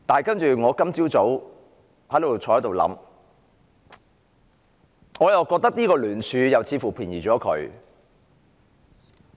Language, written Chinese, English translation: Cantonese, 不過，我今早坐在這裏思考，我又覺得這聯署似乎便宜了她。, However having contemplated the matter while sitting here this morning I now find this motion much too easy on her